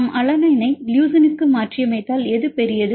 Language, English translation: Tamil, So, because we mutant alanine to leucine, which one is bigger one